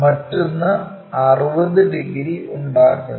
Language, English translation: Malayalam, The other one is making 60 degrees